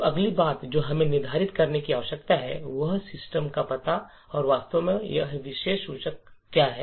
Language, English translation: Hindi, So, the next thing that we need to do determine is the address of system and what exactly is this particular pointer